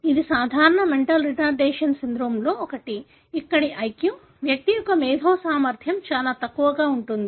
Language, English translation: Telugu, This is one of the common mental retardation syndromes, where the IQ, intellectual ability of the individual is very low